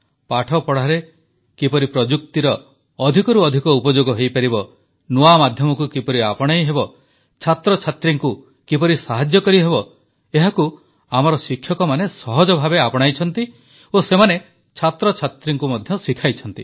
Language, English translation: Odia, Ways to incorporate more and more technology in studying, ways to imbibe newer tools, ways to help students have been seamlessly embraced by our teachers… they have passed it on to their students as well